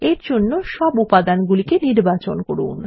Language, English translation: Bengali, For this, we will select all the elements